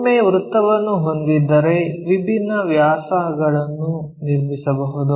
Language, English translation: Kannada, So, once we have a circle, we can construct different diameters